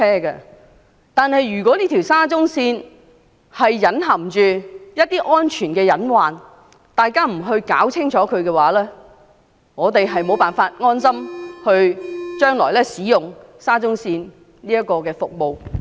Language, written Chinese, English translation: Cantonese, 然而，如果沙中線隱含一些大家未能查明的安全隱患，日後我們將無法安心使用沙中線的服務。, Nevertheless the potential safety hazards of SCL yet to be identified by us will undermine our confidence in its service in future